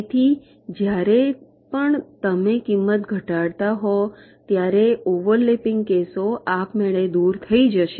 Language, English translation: Gujarati, so anywhere when you are minimizing the cost, the overlapping cases will get eliminated automatically